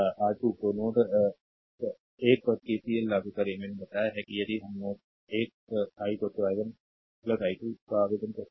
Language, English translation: Hindi, So, ah and apply KCL at node 1, I have told you that if we apply at node 1 i is equal to i 1 plus i 2